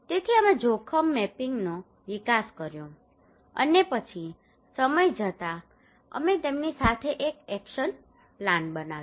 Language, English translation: Gujarati, So we developed risk mapping and then over the period of time we developed an action plan with them